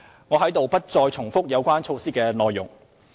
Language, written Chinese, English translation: Cantonese, 我在此不再重複有關措施的內容。, However I will not repeat the contents of the relevant initiatives here